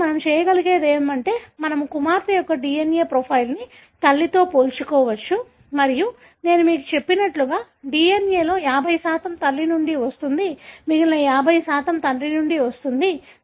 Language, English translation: Telugu, So, what we can do is, we can compare the DNA profile of the daughter with the mother and as I told you, 50% of the DNA comes from mother; the other 50% comes from the father